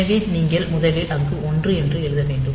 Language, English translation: Tamil, So, you have to first write a 1 there